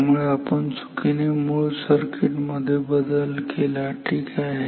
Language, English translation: Marathi, So, we have changed mistakenly changed the original circuit ok